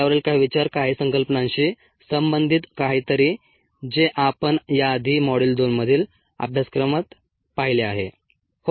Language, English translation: Marathi, some thoughts on that, something related to some concepts that we have seen earlier in the in the course, in module two